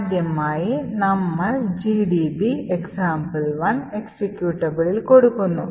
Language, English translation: Malayalam, provide gdb with the executable example 1